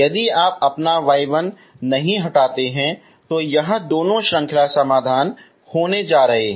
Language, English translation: Hindi, If you do not remove your y 1 so it is going to be both are series solutions